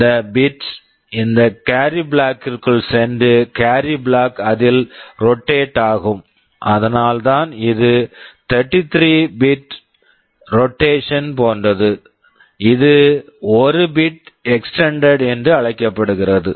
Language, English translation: Tamil, This bit will go into this carry flag and carry flag will get rotated in it, that is why this is something like a 33 bit rotation, this is called extended by 1 bit